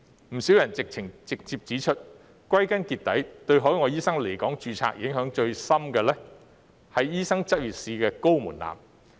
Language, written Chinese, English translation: Cantonese, 不少人直接指出，歸根究底，對海外醫生來港註冊影響最深的，是醫生執業試的高門檻。, Quite a number of people have directly pointed out that after all what affects the registration of overseas doctors in Hong Kong most deeply is the high threshold of the licensing examination for medical practitioners